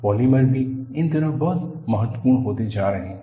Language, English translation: Hindi, And, polymers are also becoming very important these days